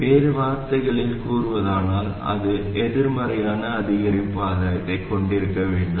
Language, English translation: Tamil, In other words, it must have a negative incremental gain